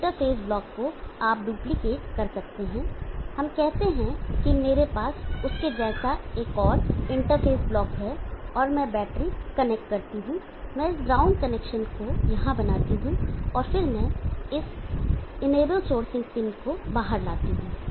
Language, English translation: Hindi, Now this interface black you can duplicate let us say I have one more interface block like that, and I connect the battery I make this ground connection here and then I bring out this enable sourcing in out